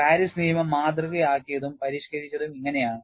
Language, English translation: Malayalam, So, this is how Paris law is modeled, modified